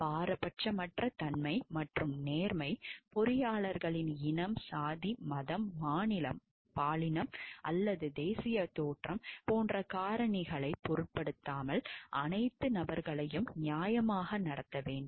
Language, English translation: Tamil, Impartiality and fairness, engineers shall treat fairly all persons regardless of such factors as race, caste, religion, state, gender or national origin